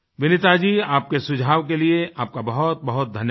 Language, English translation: Hindi, Thank you very much for your suggestion Vineeta ji